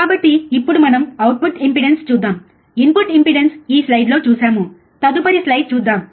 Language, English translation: Telugu, So now let us see the output impedance, input impedance we have seen now let us see the next slide, next slide let me just remove these things ok